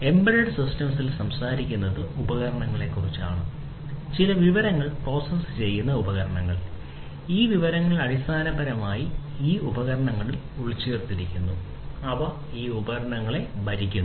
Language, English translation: Malayalam, So, we have in embedded systems we are talking about devices alone the devices that will process some information and this information are basically embedded in these devices, they are stored in these devices and so on